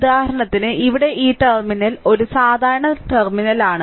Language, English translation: Malayalam, For example, right and this is here this terminal is a common terminal